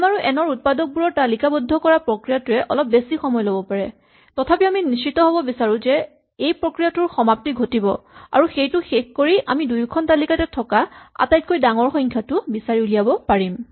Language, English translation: Assamese, So, the process of listing out the factors of m and n may take a long time; however, we want to be guaranteed that this process will always end and then having done this we will always able to find the largest number that appears in both lists